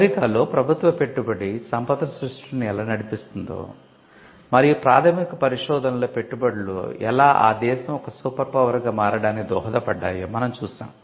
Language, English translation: Telugu, Now, the government investment powered wealth creation in the US and we had seen that how investment in basic research was seen as something that contributes to the US becoming an staying a superpower